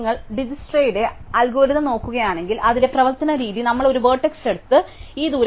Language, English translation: Malayalam, So, if you look at DijskstraÕs algorithm, the way it works is, we take a vertex j and say, update this distance, right